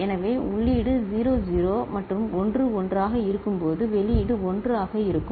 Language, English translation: Tamil, So, when the input is 0 0 and 1 1, then the output will be 1